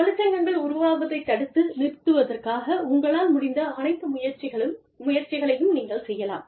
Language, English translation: Tamil, You try everything in your capacity, to stop, the formation of unions